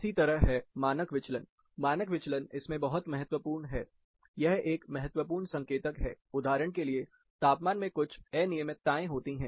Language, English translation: Hindi, Similarly, and the standard deviation, standard deviation is very important in this, it is a critical indicator, for example, there are certain temperature anomalies